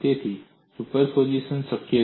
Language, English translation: Gujarati, So superposition is possible